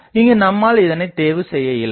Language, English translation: Tamil, So, we could not choose that